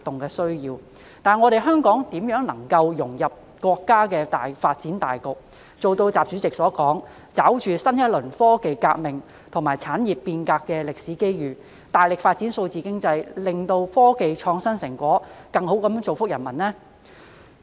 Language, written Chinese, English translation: Cantonese, 可是，香港如何能夠融入國家的發展大局，做到習主席所說的"抓住新一輪科技革命和產業變革的歷史機遇，大力發展數字經濟"，從而"使科技創新成果更好造福各國人民"？, And yet how can Hong Kong integrate into the overall development of the country and put the words of President XI ie . seizing the historic opportunities in a new round of scientific and technological revolution and industrial transformation to vigorously develop digital economy into action so that technological innovation can be turned into greater benefits for people in all countries?